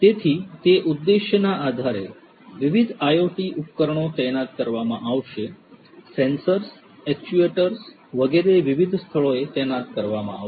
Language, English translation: Gujarati, So, based on that objective different IoT devices are going to be deployed; sensors, actuators etc